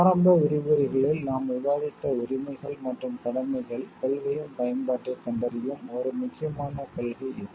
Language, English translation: Tamil, This is an important like, principle where we find the application of the rights and duties principle as we have discussed in the initial lectures